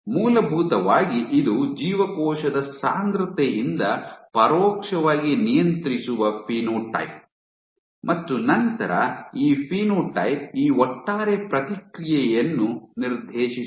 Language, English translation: Kannada, So, you are kind of indirectly controlling phenotype by cell density and then this phenotype is what dictates this overall response